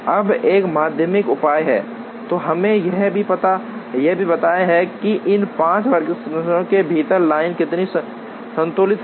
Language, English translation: Hindi, Now there is a secondary measure, which also tells us how balanced the line is within these 5 workstations